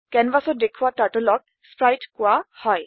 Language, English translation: Assamese, Turtle displayed on the canvas is called sprite